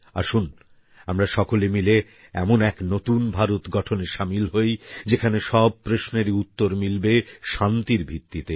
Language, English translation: Bengali, Come, let's together forge a new India, where every issue is resolved on a platform of peace